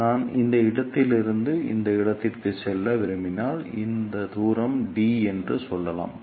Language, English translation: Tamil, So, if I want to move from this point to this point let us say this distance is d